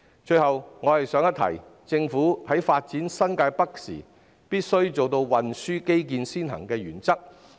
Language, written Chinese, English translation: Cantonese, 最後我想一提，政府在發展新界北時必須奉行運輸基建先行的原則。, Finally let me remind the Government to uphold the principle of according priority to transport infrastructure development in developing New Territories North